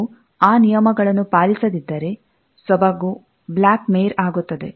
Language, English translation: Kannada, If we do not follow those rules then the elegancy tends to be a black mare